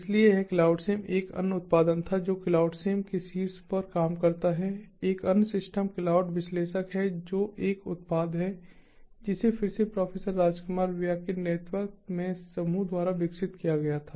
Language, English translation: Hindi, another production, another system which works on top of clouds sim is the cloud analyst, which is a product that was again developed by the group led by professor rajkumar buyya